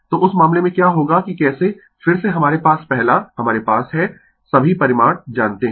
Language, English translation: Hindi, So, in that case what will happen that how then we have first, we have to this all the magnitudes are known right